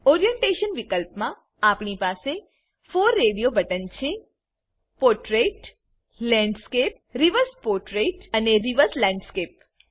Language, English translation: Gujarati, In the orientation field we have 4 radio buttons Portrait, Landscape, Reverse portrait, and Reverse landscape